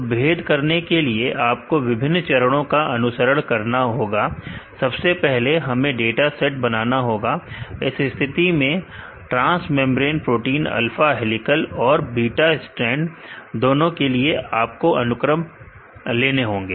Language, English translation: Hindi, So, you have to follow different steps for the discrimination, first we had to prepare dataset right in this case you have to get the sequences for the transmembrane proteins both alpha helical and beta strand proteins